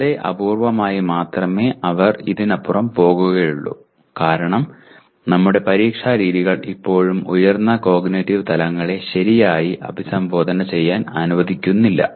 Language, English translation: Malayalam, Very very rarely they will go beyond this because our examination methods still do not permit properly addressing the higher cognitive levels